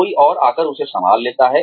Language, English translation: Hindi, Somebody else comes and takes over